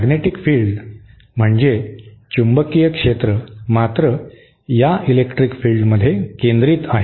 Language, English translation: Marathi, The magnetic fields however are concentric to these electric fields